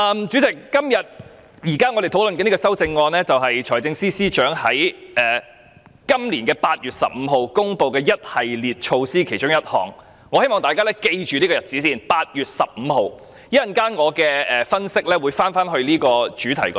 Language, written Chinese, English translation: Cantonese, 主席，我們現時討論的修正案，是關於財政司司長在今年8月15日公布的一系列措施的其中一項；我希望大家先緊記8月15日這個日子，我稍後的分析會回到這個主題。, Chairman the amendments that we are now discussing concern one of the measures announced by the Financial Secretary on 15 August this year . I hope that we can first keep in mind the date of 15 August as my analysis in due course will come back to this theme